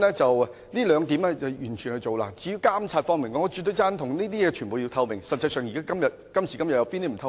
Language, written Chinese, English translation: Cantonese, 至於監察方面，我絕對贊同必須要具透明度，今時今日實際上有甚麼不透明呢？, As for monitoring I absolutely agree that there must be transparency . Nowadays all things are transparent